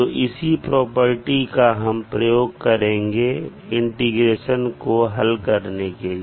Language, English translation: Hindi, So the same property we will use for finding out the integral of this particular equation